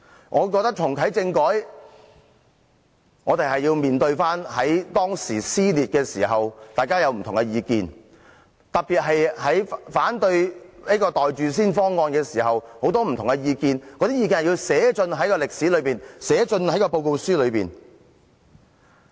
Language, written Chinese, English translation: Cantonese, 我認為若要重啟政改，我們便要重新面對撕裂之時，大家的不同意見，尤其在反對"袋住先"方案時，大家有很多不同的意見，那些意見是需要寫進歷史、寫進報告書的。, In my opinion if we are to reactivate constitutional reform we have to face squarely the different views voiced out during the social conflict especially the views against the proposal the Governments asked us to pocket it first . Those views should be put on record and documented